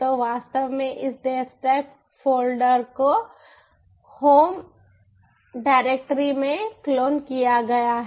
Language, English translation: Hindi, so actually, ah, this, ah, this devstack folder is clone in the home directory